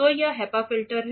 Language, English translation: Hindi, So, this is HEPA filter